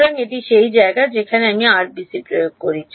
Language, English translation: Bengali, So, that is the place where I apply the RBC